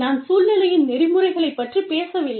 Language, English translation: Tamil, I am not talking about, the ethics of the situation